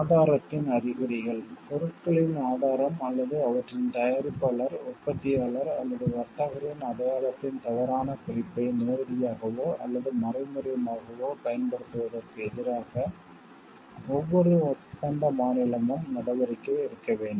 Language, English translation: Tamil, Indications of source; measures must be taken by each contracting state is direct or indirect use of a false indication of the source of goods or the identity of their producer manufacturer or trader